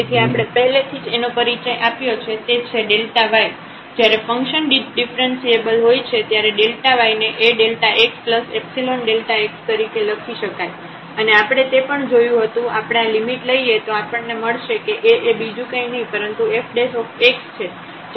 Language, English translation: Gujarati, So, what we have introduced already that the delta y when the function is differentiable then delta y we can write down as A time delta x plus epsilon times delta x and we have also seen that when we take this limit so, we got that this A is nothing, but the f prime x